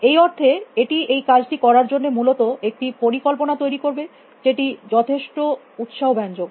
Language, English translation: Bengali, In the sense, it would generate a plan for doing that essentially quite interesting